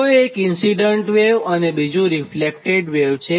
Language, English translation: Gujarati, so one is incident wave, another is called the reflected wave right